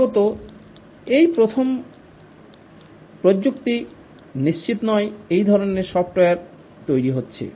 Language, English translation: Bengali, It's possibly the first time that this kind of software is being developed